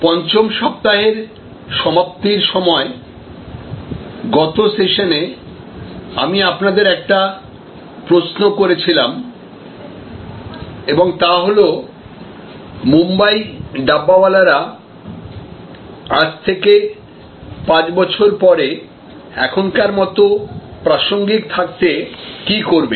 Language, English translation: Bengali, In the last session while concluding week number 5, I had raised a question for you and that was, what will the Mumbai dabbawalas do to remain as relevant 5 years from now as they are today